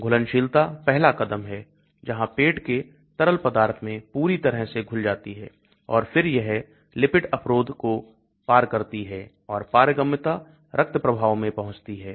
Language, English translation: Hindi, Solubility is the first step where the drug gets completely dissolved in the stomach fluid and then it crosses the lipid barrier and permeabilizes and reaches the blood stream